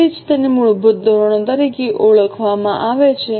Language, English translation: Gujarati, That is why it is called as a basic standards